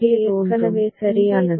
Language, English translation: Tamil, So, this is already ticked right